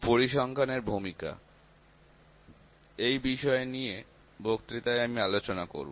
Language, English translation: Bengali, The role of statistics, I will go through these contents in the lecture